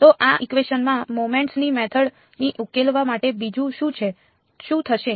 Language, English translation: Gujarati, So, what else is there in this equation to solve in the method of moments, what will happen